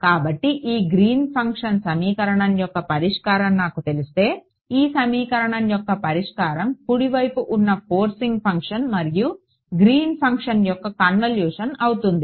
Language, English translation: Telugu, So, if I know the solution to this guy this I this solution becomes a convolution of the forcing function the right hand side with the Green’s function right